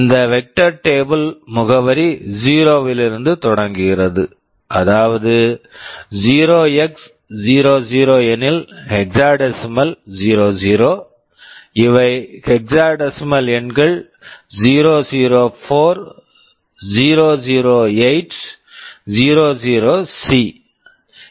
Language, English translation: Tamil, This vector table is present from address 0, 0x00 means hexadecimal 00; these are hexadecimal numbers 004, 008, 00C